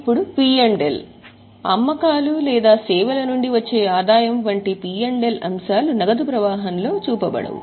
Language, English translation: Telugu, P&L items like sales or revenue from services are not to be shown in cash flow